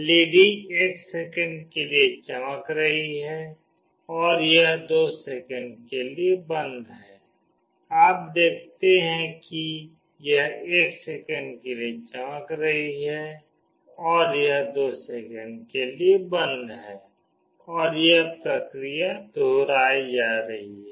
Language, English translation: Hindi, The LED is glowing for 1 second and it is off for 2 second, you see it is glowing for 1 second and it is off for 2 second and this is repeating